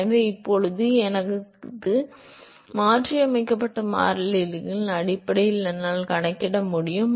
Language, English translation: Tamil, So, now, I can calculated in terms of my modified variables